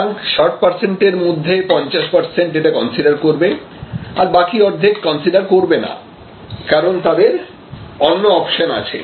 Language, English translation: Bengali, So, 50 percent will consider of this 60 percent and 50 percent; obviously, they cannot consider, because they have different other options